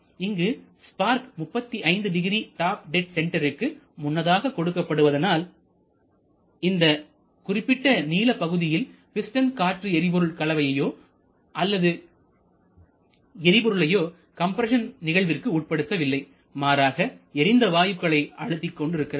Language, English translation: Tamil, So, the spark is provided 35 degree below before that top dead center and therefore over this particular span the piston is compressing not the gas mixture or fresh fuel air mixture rather it is the mixture of combustion gases